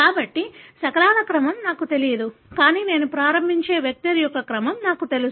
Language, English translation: Telugu, So, I don’t know the sequence of the fragments, but I do know the sequence of, let’s say, the vector that I am starting with